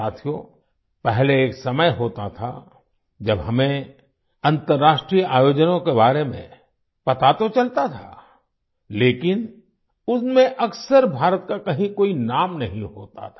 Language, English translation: Hindi, Friends, earlier there used to be a time when we used to come to know about international events, but, often there was no mention of India in them